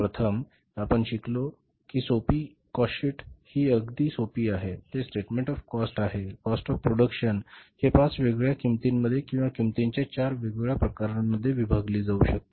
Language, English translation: Marathi, First we learned that first simple cost sheet is very simple that it is a statement of the cost, total cost of the product can be divided into five different types of the cost or the four different types of the cost